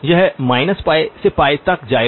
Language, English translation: Hindi, It will go from minus pi to pi